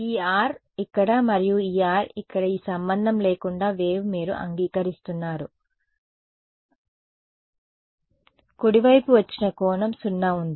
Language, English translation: Telugu, This R over here and this R over here this was 0 regardless of which angle the wave came at right you agree